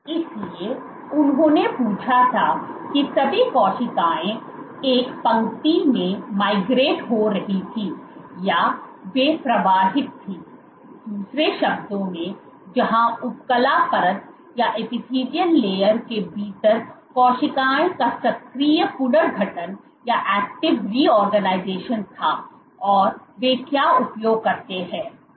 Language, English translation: Hindi, So, they asked that were cells all migrating in a line or what they were flows in other words where the active was the active reorganization of cells within the epithelial layer and what they use